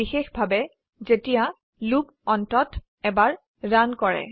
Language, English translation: Assamese, Specially, when the loop must run at least once